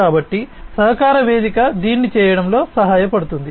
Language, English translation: Telugu, So, this is what a collaboration platform will help in doing